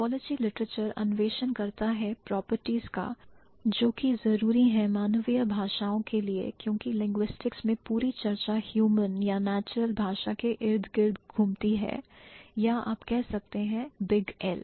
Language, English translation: Hindi, So, typology literature explores properties that are necessary to a human language because the entire discussion in linguistics revolves around human language or natural language or you can say big L